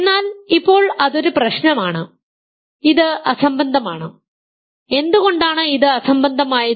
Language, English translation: Malayalam, But now that is a problem, this is absurd, why is it absurd